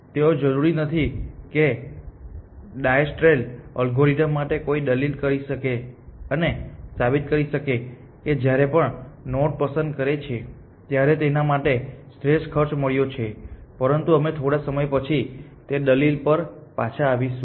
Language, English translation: Gujarati, They may not necessarily be optimal though for diastral algorithm one can argue and prove that every time it picks a node it has found an optimal cost for that, but we will come back to that argument a little bit later